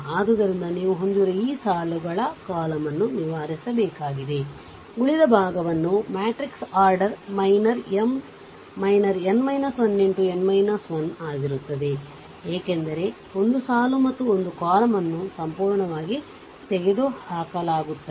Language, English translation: Kannada, So, this rows columns you have to you have to just eliminate ah rest the matrix order minor will be M minor your n minus 1 into n minus 1, because one row and one column is completely eliminated, right